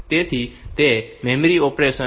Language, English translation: Gujarati, So, it is a memory operation